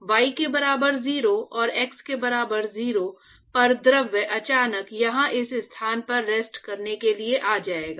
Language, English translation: Hindi, So, suddenly at y equal to 0 and x equal to 0 the fluid will suddenly come to rest at this location here